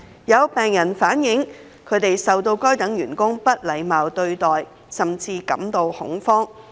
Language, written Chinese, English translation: Cantonese, 有病人反映，他們受到該等員工不禮貌對待，甚至感到恐慌。, Some patients have relayed that they were impolitely treated by such staff members and were even in panic